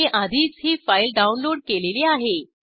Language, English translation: Marathi, I have already downloaded this file